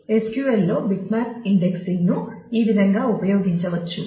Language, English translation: Telugu, So, this is how bitmap indexing can be used in SQL